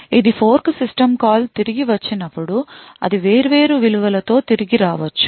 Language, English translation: Telugu, Now when the fork system call returns, it could return with different values